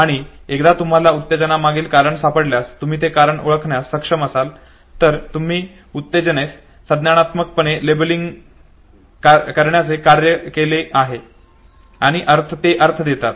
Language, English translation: Marathi, And once you find the reason behind the arousal okay, if you have been able to identify the reason fine, you have performed the task of cognitively labeling the arousal and that gives the meaning